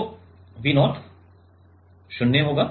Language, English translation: Hindi, So, V 0 will be 0 V 0 will be 0